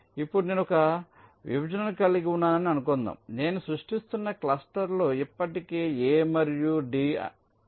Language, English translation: Telugu, now lets suppose i have a partition which i am creating, a cluster which i am creating, for i have already placed a and b